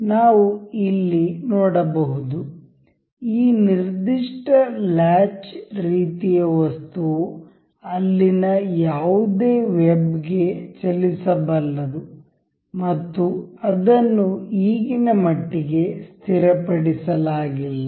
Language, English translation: Kannada, We will see here, the you can see this particular latch kind of thing is movable to any web there and it is not fixed that of as of now